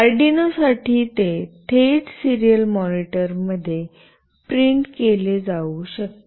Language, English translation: Marathi, For Arduino it can be directly printed in the serial monitor